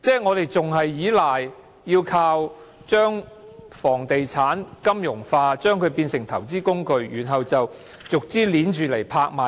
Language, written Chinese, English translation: Cantonese, 我們仍然倚賴把房地產金融化，把它變為投資工具，然後逐項拍賣。, We still rely on the financialization of properties which are turned into investment tools and auctioned off one after another